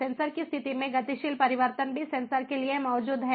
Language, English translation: Hindi, dynamic change in sensor conditions also exist